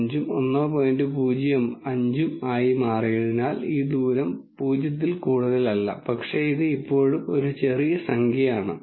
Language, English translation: Malayalam, 05 this distance is no more 0, but it is still a small number